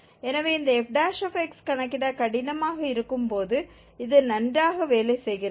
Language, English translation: Tamil, So this also works well when it is difficult to compute this f prime x